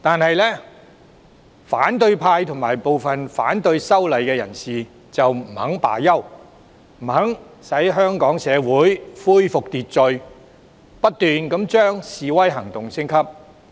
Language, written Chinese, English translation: Cantonese, 然而，反對派和部分反對修例的人士不肯就此罷休，不肯讓香港社會恢復秩序，不斷將示威行動升級。, However the opposition and some of the opponents of the legislative amendment would not give up . Instead of allowing order to be restored in society of Hong Kong they incessantly escalate their protest actions